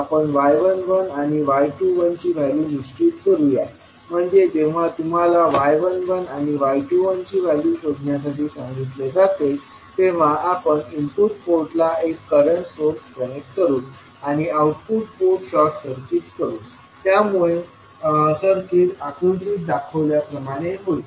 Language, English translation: Marathi, We will determine the value of y 11 and y 21 so when you are asked to find the value of y 11 and y 21 we will connect one current source I 1 in the input port and we will short circuit the output port so the circuit will be as shown in the figure